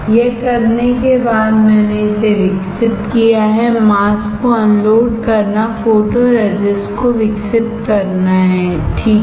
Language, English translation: Hindi, After doing that I have developed it, unload the masks develop photoresist, right